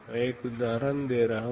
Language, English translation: Hindi, I am giving one example